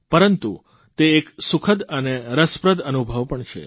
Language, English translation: Gujarati, But therein lies a pleasant and interesting experience too